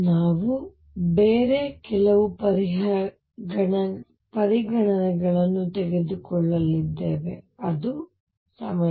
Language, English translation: Kannada, We are going to take some other consideration is time